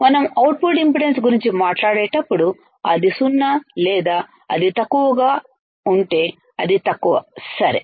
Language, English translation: Telugu, When we talk about output impedance it is 0 or it is low, it is low ok